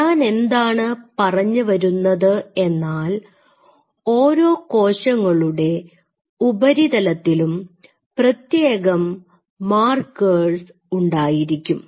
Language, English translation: Malayalam, So, what I wanted to say is say for example, on the cell surface you have specific markers